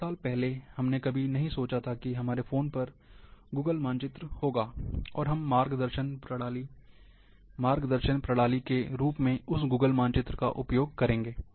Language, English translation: Hindi, Like few years back, we never thought that we will have Google map, on our smart mobiles, and we will be using that Google map, as a navigation system